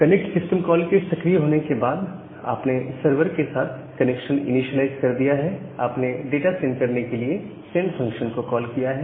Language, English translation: Hindi, Now, after that after the connect system call has made, you have initiated the connection to the server then, you make the call to the send function, the send function to send the data